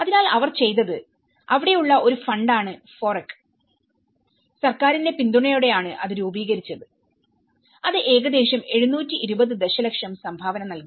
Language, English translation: Malayalam, So, what they did was the society there is a FOREC fund which has been support with the support from the government it has been formulated it’s about it contributed about 720 million